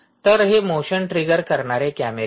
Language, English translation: Marathi, so there are these motion triggered cameras